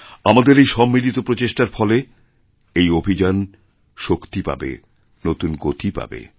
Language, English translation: Bengali, You will see that with our joint efforts, this movement will get a fresh boost, a new dynamism